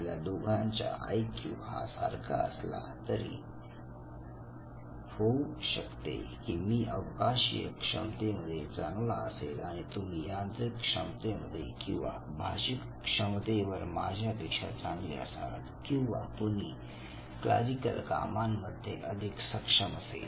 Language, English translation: Marathi, So two of us might be sharing same IQ but then high at say spatial ability, you are good at mechanical ability, somebody else is good at linguistic ability, and somebody else is good at clerical aptitude